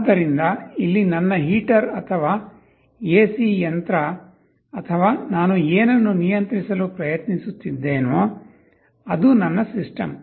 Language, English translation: Kannada, So, my system here is my heater or AC machine or whatever I am trying to control